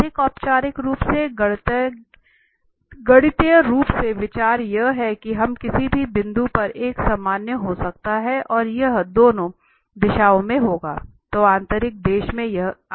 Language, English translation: Hindi, The more formally mathematically the idea is that we can have a normal at any point and that will be in the two directions